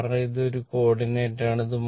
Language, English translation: Malayalam, Because this is one coordinate